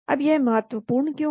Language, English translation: Hindi, Now, why is it important